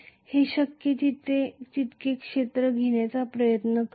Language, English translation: Marathi, This will try to encompass as much area as possible